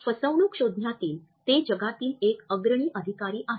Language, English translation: Marathi, He is the world's foremost authority in deception detection